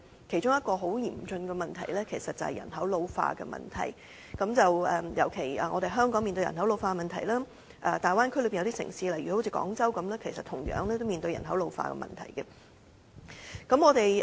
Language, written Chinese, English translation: Cantonese, 其中一個很嚴峻的問題，就是人口老化的問題，香港面對人口老化的問題，而大灣區內有些城市，例如廣州，同樣面對人口老化的問題。, One of the very serious problems is ageing population . While Hong Kong is facing the problem of ageing population some cities in the Bay Area such as Guangzhou are also facing the same problem